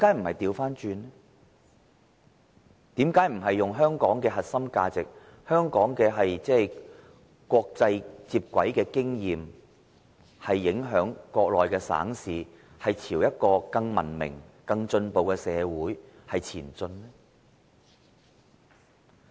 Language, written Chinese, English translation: Cantonese, 為甚麼不是以香港的核心價值、香港與國際接軌的經驗來影響國內省市，朝一個更文明、更進步的社會前進呢？, Why do we not influence Mainland provinces and cities with the core values of Hong Kong and our experience of integration with the international community so that they will be geared towards a more civilized and developed society?